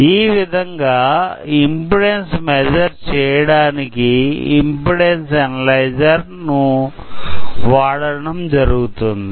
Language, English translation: Telugu, So, this is how we measure the impedance of a sensor using impedance analyzer